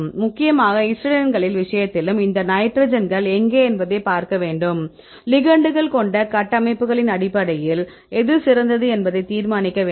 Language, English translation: Tamil, So, mainly in the case of the histidines also we need to see where are these nitrogens, then how to decide which one is a best right